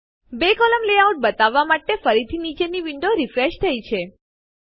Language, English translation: Gujarati, Again the window below has refreshed to show a two column layout